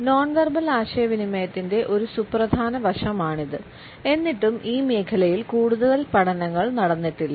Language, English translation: Malayalam, It is a vital aspect of non verbal communication though still not much work has been done in this area